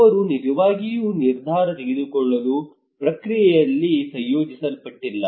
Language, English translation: Kannada, They are not really incorporated into the decision making process